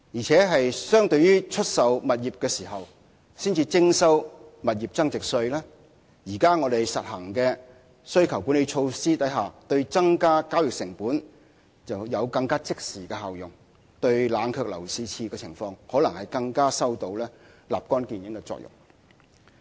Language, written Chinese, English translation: Cantonese, 此外，相對出售物業時才徵收的物業增值稅，現時我們實行的需求管理措施，對增加交易成本有更即時的效用，對冷卻樓市熾熱的情況可能更有立竿見影的作用。, Besides when compared with the capital gains tax levied when the property is sold the demand - side management measures we now adopt have an immediate effect of increasing the transaction costs and can readily cool down the overheated property market